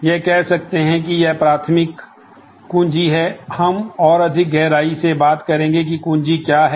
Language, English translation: Hindi, It could say that this is the primary key, we will talk more in more depth in terms of what is key